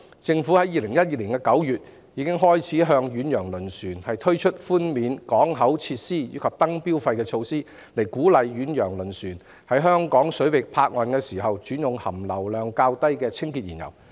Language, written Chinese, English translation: Cantonese, 政府已於2012年9月開始就遠洋輪船實施寬免港口設施及燈標費的措施，以鼓勵遠洋輪船在香港水域泊岸時轉用含硫量較低的清潔燃油。, Back in September 2012 the Government began to implement concessionary measures on the port facilities and light dues charged on ocean - going vessels in order to encourage them to switch to clean fuel with lower sulphur content while at berth in Hong Kong waters